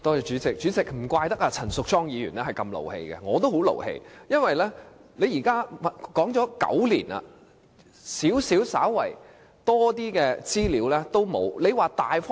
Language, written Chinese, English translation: Cantonese, 主席，難怪陳淑莊議員如此動氣，我也十分生氣，因為已談了9年，但稍為多一點的資料也不能提供。, President no wonder Ms Tanya CHAN was so worked up . I am outraged too . Because they have been discussing it for nine years and yet not even a bit more information can be provided